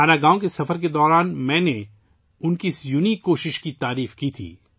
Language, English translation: Urdu, During my visit to Mana village, I had appreciated his unique effort